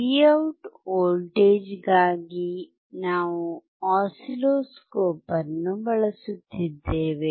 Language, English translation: Kannada, For voltage at output Vout we are using oscilloscope